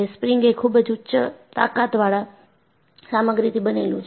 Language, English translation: Gujarati, Springs are made of very high strength material